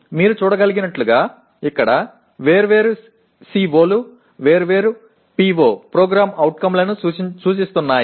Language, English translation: Telugu, And as you can see different COs here are addressing different POs